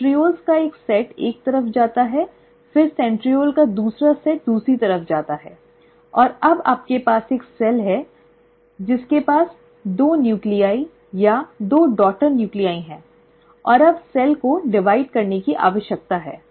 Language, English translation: Hindi, One set of centrioles go to one side, then the other set of centriole goes to the other side, and now you have a cell which has got two nuclei, or two daughter nuclei, and now the cell actually needs to divide